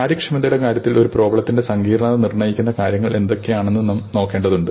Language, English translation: Malayalam, Now, in terms of efficiency we have to look at what are the things that determine the complexity of a problem